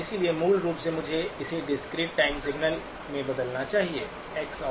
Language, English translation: Hindi, So basically I must convert it into a discrete time signal, x of n